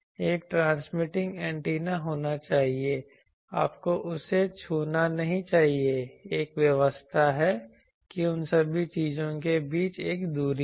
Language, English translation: Hindi, There should be a transmitting antenna you should not touch that there is an arrangement that there is a distance all those things